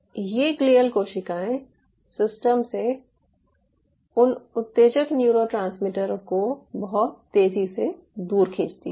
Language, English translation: Hindi, so these glial cells pulls away those excitatory neurotransmitters from the system very fast